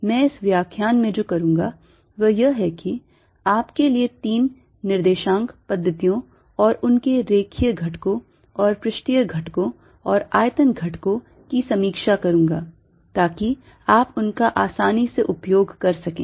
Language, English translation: Hindi, so what i'll do in this lecture is just review three coordinate systems for you and their line and surface elements and volume elements, so that you can use them easily